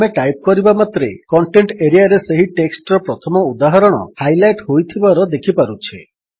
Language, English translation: Odia, As we type, we see that the first instance of that text, is being highlighted in the Contents area